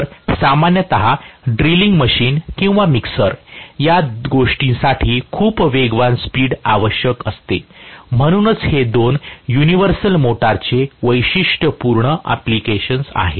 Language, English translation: Marathi, So, typically drilling machines or mixer, these things require very very high speed, so these two are typical applications of universal motor